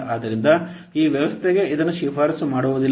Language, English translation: Kannada, So this is not recommended for this system